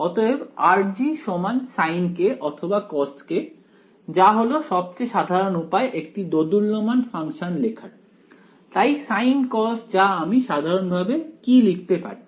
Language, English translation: Bengali, So, r G is equal to sin k kind of a or cos k that kind of a thing works the most general way of writing oscillatory function is so sin cos what can I generalize that too